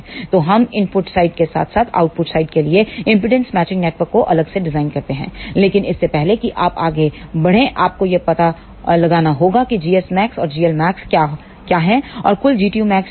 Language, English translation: Hindi, So, we can design impedance matching network for input side as well as the output side separately, but before you proceed for this first of all you must find out what is g s max and g l max and what is the total G tu max